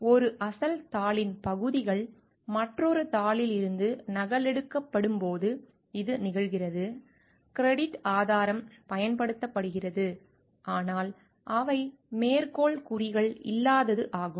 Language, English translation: Tamil, It occurs when sections of an original paper are copied from another paper, credit source is used, but there is an absence of quotation marks